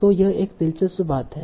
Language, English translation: Hindi, So it is very interesting